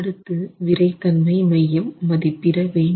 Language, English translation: Tamil, The first step is the estimation of the center of stiffness